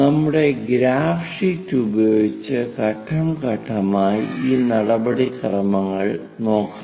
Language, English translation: Malayalam, Let us look at that procedure step by step using our graph sheet